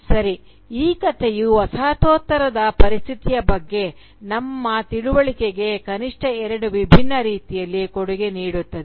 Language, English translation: Kannada, Well, this story contributes to our understanding of the postcolonial situation in at least two distinct ways